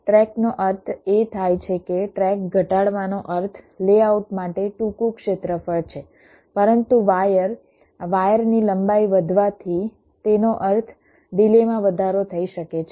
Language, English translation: Gujarati, shorter tracks do mean that reducing tracks means shorter area for layout, but increasing wires wire length may mean and increase in delay